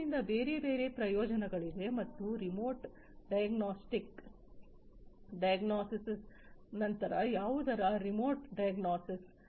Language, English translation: Kannada, So, there are different other benefits as well remote diagnosis then remote diagnosis of what